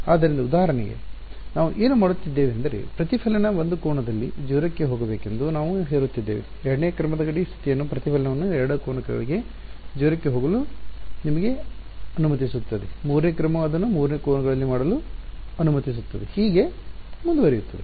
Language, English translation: Kannada, So, for example, what are we doing we are imposing that the reflection go to 0 at 1 angle a second order boundary condition will allow you to make the reflection go to 0 at 2 angles, 3rd order will allow you to do it at 3 angles and so on